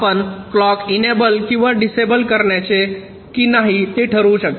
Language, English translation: Marathi, k you can decide whether to enable or disable the clock